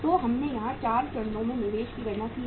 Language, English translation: Hindi, So we have calculated the investment at the 4 stages